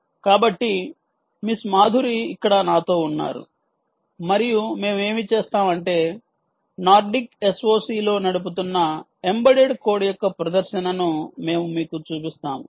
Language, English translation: Telugu, so, ah, miss madhuri is with me here and what we will do is we will show you a demonstration of the ah embedded code which is running on the nordic s o c